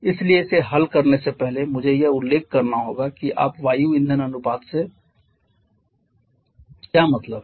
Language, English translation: Hindi, So, before solving this I have to mention what do you mean by air fuel ratio